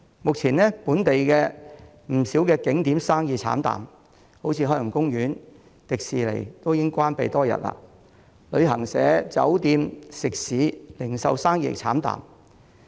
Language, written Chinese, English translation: Cantonese, 目前，本地不少景點生意慘淡，例如海洋公園、迪士尼樂園已經關閉多日，旅行社、酒店、食肆和零售生意慘淡。, At present business is bleak for quite a number of local tourist attractions . For instance the Ocean Park and Disneyland have been closed for days and business is bleak for travel agents hotels restaurants and the retail sector